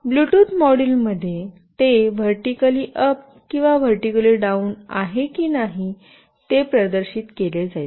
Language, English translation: Marathi, In the Bluetooth module, it will be displayed whether it is vertically up or it is vertically right